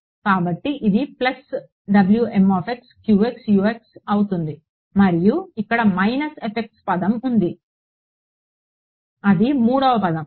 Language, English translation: Telugu, So, this will be a plus W m x q x U x and there was a minus fx term over here that is the third term